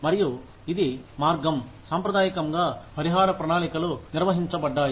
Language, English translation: Telugu, And, this is the way, traditionally, compensation plans have been decided